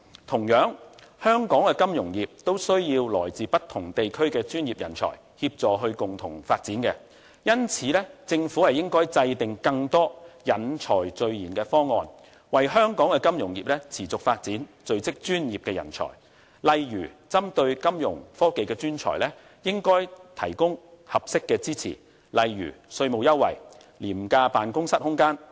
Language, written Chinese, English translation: Cantonese, 同樣，香港的金融業也需要來自不同地區的專業人才協助共同發展，因此政府應該制訂更多引才聚賢的方案，為香港的金融業持續發展聚積專業人才，例如針對金融科技專才，應該提供合適的支持，如稅務優惠、廉價辦公室空間等。, Likewise the development of Hong Kongs financial industry needs the help of professionals from other places . For that reason the Government should formulate more packages for attracting talents and professionals so as to create a larger pool of talents for sustaining the development of Hong Kongs financial industry